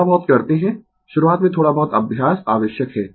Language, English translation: Hindi, Little bit you do, little bit practice is required initially right